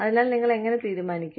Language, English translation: Malayalam, Anyway, so, how do you decide